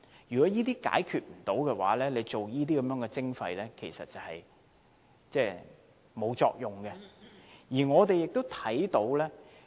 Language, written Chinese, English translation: Cantonese, 如果未能解決這些問題便推行垃圾徵費，其實是沒有作用的。, If waste charging is introduced before such problems are solved it will not be effective